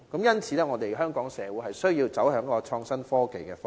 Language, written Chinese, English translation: Cantonese, 因此，香港社會需要走向創新科技的方向。, Therefore the Hong Kong society has to go for innovation and technology